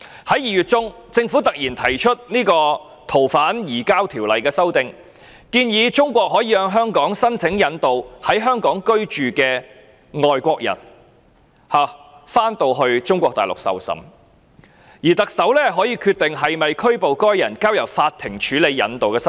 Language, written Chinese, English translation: Cantonese, 在2月中，政府突然提出《2019年逃犯及刑事事宜相互法律協助法例條例草案》，建議中國可以向香港申請引渡在香港居住的外國人返回中國大陸受審，而特首可以決定是否拘捕該人，並交由法庭處理引渡的申請。, The Fugitive Offenders and Mutual Legal Assistance in Criminal Matters Legislation Amendment Bill 2019 suddenly proposed by the Government in February will allow China to apply for extradition of foreigners living in Hong Kong to the Mainland to receive trial; and the Chief Executive shall decide whether or not to arrest the fugitive offender and the court shall be the one to handle the extradition applications